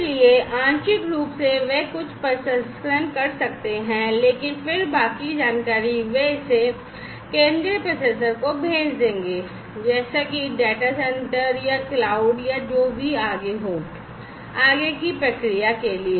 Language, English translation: Hindi, So, partially they can do some processing, but then the rest of the information they will be sending it to the central processor like the data center or, cloud or, whatever, for further processing